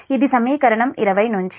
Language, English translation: Telugu, this is from equation twenty